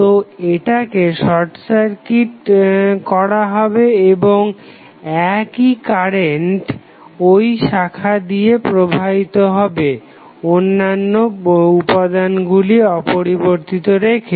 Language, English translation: Bengali, So, this would be short circuited and the same current will flow in the branch keeping other parameters same